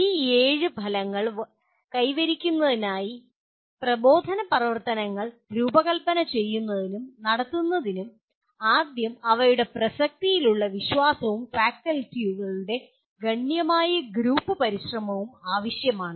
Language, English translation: Malayalam, And designing and conducting instructional activities to facilitate attainment of these seven outcomes first requires belief in their relevance and considerable group effort by faculty